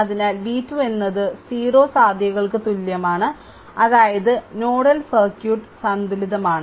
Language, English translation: Malayalam, So, v 2 is equals to 0 right 0 potential; that means, nodal circuit is balanced right